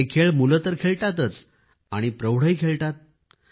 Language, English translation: Marathi, These games are played by children and grownups as well